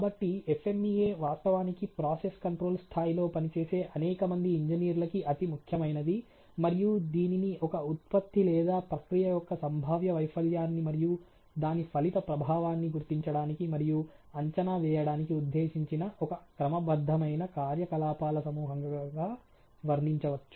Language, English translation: Telugu, So, FMEA has a in fact began a gratin butter of several engineers working at process control level, and it can be describe is a systematize group of activities intended to recognize and evaluate the potential failure of a product or process and its resulting effect ok